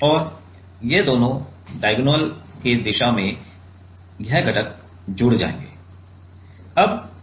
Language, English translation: Hindi, And these two like along the diagonal along the diagonal this component will add up